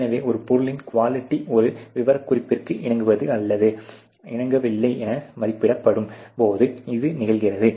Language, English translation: Tamil, So, this happens when the quality of an item is judged as just conforming or non conforming to a specification ok